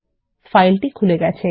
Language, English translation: Bengali, The file opens